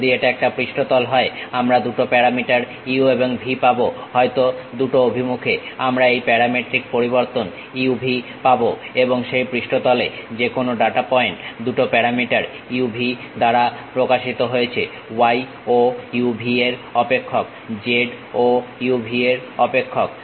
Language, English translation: Bengali, If it is a surface we will be having two parameters u and v; maybe in two directions we will have this parametric variation u, v and any data point on that surface represented by two parameters u, v; y is also as a function of u, v; z also as a function of u, v